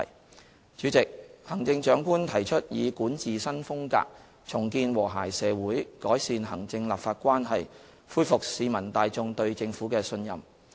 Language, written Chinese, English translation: Cantonese, 代理主席，行政長官提出以管治新風格，重建和諧社會，改善行政立法關係，恢復市民大眾對政府的信任。, Deputy President the Chief Executive has pledged a new style of governance to rebuild a harmonious society improve the relationship between the executive and the legislature and restore public confidence in the Government